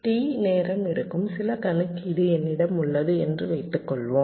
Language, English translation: Tamil, suppose i have some computation that takes a time